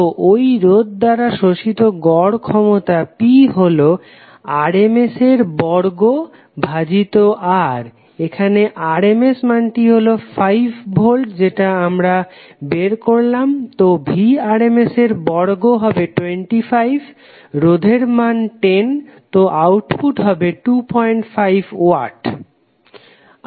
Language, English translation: Bengali, So the average power absorbed by the resistor you can say that P is nothing but rms square by R, so here rms value which we derived is 5 volts, so Vrms square is 25, resistor value is 10, so output would be 2